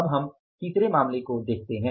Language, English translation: Hindi, Now we go for the third case